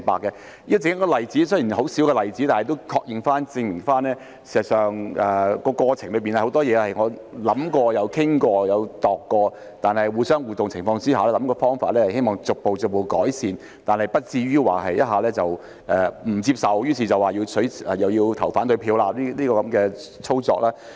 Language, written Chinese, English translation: Cantonese, 這雖然只是一個很細小的例子，但亦可確認及證明，事實上，在過程中有很多事情，我們都有思考過、討論過及研究過，在互動的情況下，希望可以設法逐步改善，但不至於一下子便不接受，說要投反對票。, Although this is only a very small example it can confirm and prove that as a matter of fact we have pondered discussed and looked into a lot of things during the process . With interaction we wish to figure out ways to make improvement progressively but we will not go so far as to reject everything all at once and say that we will vote against it